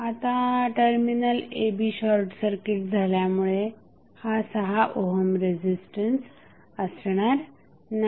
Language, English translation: Marathi, Now, when you have this terminal a, b short circuited the 6 ohm resistance will become irrelevant